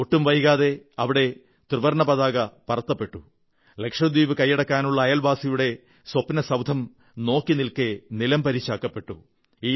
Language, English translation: Malayalam, Following his orders, the Tricolour was promptly unfurled there and the nefarious dreams of the neighbour of annexing Lakshadweep were decimated within no time